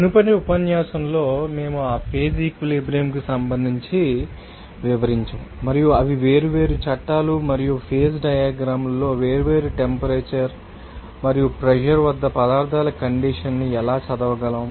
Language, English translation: Telugu, In the previous lecture, we have described regarding that phase equilibrium, and they are you know, different laws and also in phase diagram how we can read the different a state of the; you know substances at you know different temperature and pressure